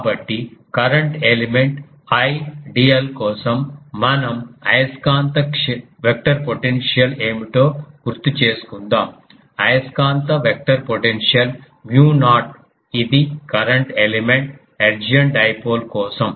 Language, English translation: Telugu, So, let us recall that for a current element ideal what was our magnetic vector potential magnetic vector potential was mu naught; this is for current a current element hertzian dipole